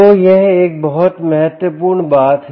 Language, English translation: Hindi, so this is a very important thing